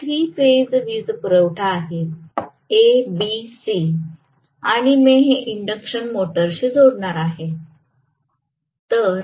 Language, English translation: Marathi, These are the three phase power supplies A B C and I am going to connect this to the induction motor